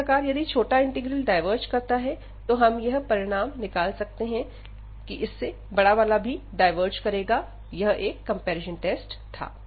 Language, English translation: Hindi, The other way around if this smaller one diverges, we can conclude that this the larger one will also diverge, so we have this comparison test